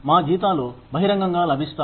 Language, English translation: Telugu, Our salaries are publicly available